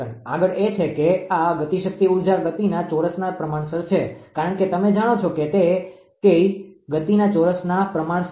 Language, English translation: Gujarati, Next is that this kinetic energy is proportional to the square of the speed because, you you know that K KE is proportional to the square of the speed right